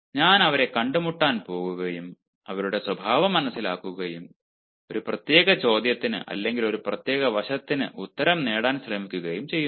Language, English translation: Malayalam, i mean going to meet them and understanding ah their nature, ah trying to ah get the answer of a particular question or on a particular ah aspect